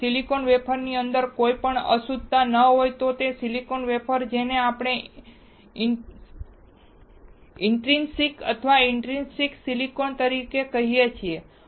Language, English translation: Gujarati, If there is no impurity inside the silicon wafer, that silicon wafer we call as an intrinsic or intrinsic silicon